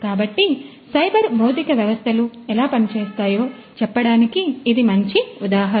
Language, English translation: Telugu, So, this is a this is a good example of how cyber physical systems work